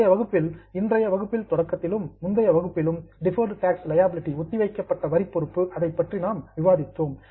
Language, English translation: Tamil, If you remember in the last session and even in the beginning of today's session we discussed about deferred tax liability